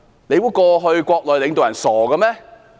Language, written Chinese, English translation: Cantonese, 你以為過去國內的領導人是傻子嗎？, Do you think that the leaders of our country in the past were fools?